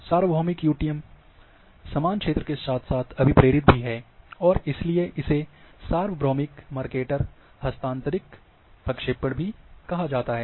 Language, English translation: Hindi, Universal UTM is a mix up of equal area as well as conformal and, so that is why it is called universal Mercator transfers projection